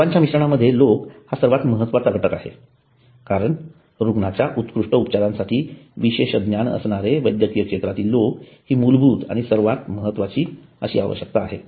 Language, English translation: Marathi, Among the service mix people is the most important element as specialized knowledge is basic and most important requirement for superior treatment of the patients